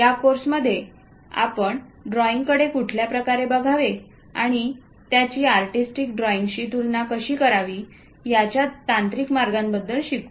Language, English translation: Marathi, In this course, we are going to learn about technical way of looking at drawing and trying to compare with artistic drawing also